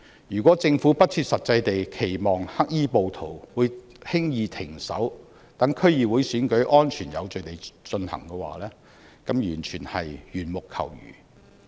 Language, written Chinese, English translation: Cantonese, 如果政府不切實際地期望黑衣暴徒會輕易停止，讓區議會選舉安全有序地進行的話，這完全是緣木求魚。, It is unrealistic for the Government to hope that the black - clad rioters can easily be stopped and that the DC Election can be conducted in a safe and orderly manner . This is as futile as fishing in the air